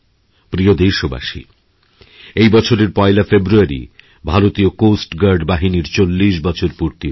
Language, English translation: Bengali, My dear countrymen, on 1st February 2017, Indian Coast Guard is completing 40 years